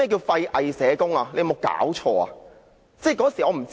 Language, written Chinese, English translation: Cantonese, "廢偽社工"是甚麼意思呢？, What does useless hypocritical social workers mean?